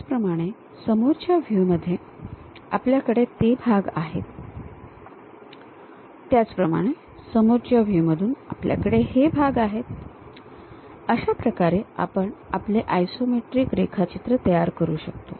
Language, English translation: Marathi, Similarly, from the front view we have those parts, from similarly front view we have these parts, in this way we can construct our isometric drawing